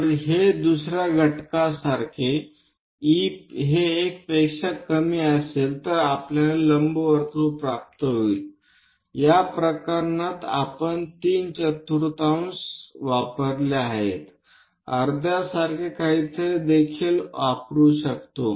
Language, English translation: Marathi, If it is something like another factor any e less than 1 we get an ellipse, in this case, we have used three fourth; one can also use something like half